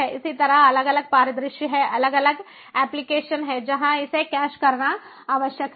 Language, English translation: Hindi, so there are likewise different scenarios, different applications where this is required to cache